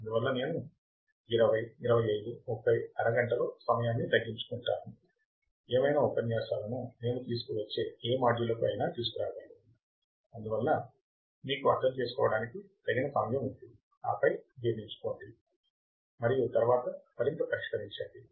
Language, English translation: Telugu, So, that is why I am squeezing down the time in 20, 25, 30, half an hour whatever the lectures I can bring it to whatever modules I can bring it to so that you have enough time to understand, and then digest and then solve more